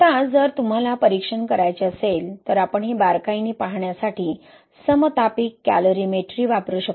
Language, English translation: Marathi, Now if you want to examine, we can use isothermal calorimetry to look into this closely